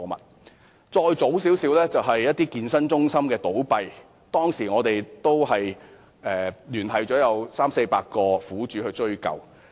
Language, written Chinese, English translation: Cantonese, 把時間再推前一些，當一間健身公司倒閉時，我們當時也聯繫了三四百名苦主，協助追究。, Going further back in time when a fitness company ceased business we had contacted some 300 to 400 victims and provided help to them to pursue the matter